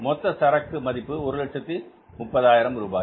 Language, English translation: Tamil, Total value of this stock is 130,000 rupees